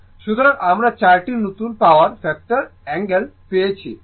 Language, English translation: Bengali, So, we have got four new power factor angle is 18